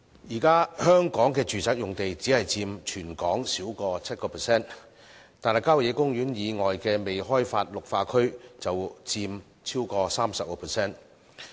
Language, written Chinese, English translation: Cantonese, 香港現時的住宅用地只佔全港土地少於 7%， 但效野公園以外的未開發綠化區便佔超過 30%。, Nowadays residential sites account for less than 7 % of the total land area of Hong Kong but undeveloped green belt areas other than country parks account for more than 30 %